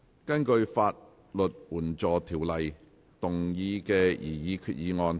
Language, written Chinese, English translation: Cantonese, 根據《法律援助條例》動議的擬議決議案。, Proposed resolution under the Legal Aid Ordinance